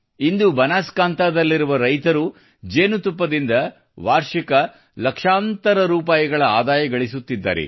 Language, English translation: Kannada, Today, farmers of Banaskantha are earning lakhs of rupees annually through honey